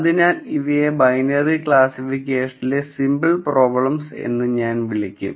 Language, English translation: Malayalam, So, these I would call as simpler problems in binary classification